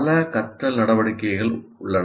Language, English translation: Tamil, So there are a whole lot of learning activities